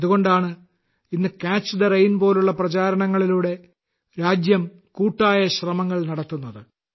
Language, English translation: Malayalam, That is why today the country is making collective efforts through campaigns like 'Catch the Rain'